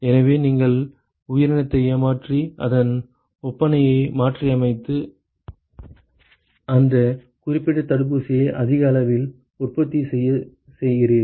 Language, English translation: Tamil, So, you tweak the organism you cheat the organism and you modify it is makeup and then you make it to produce large quantities of that particular vaccine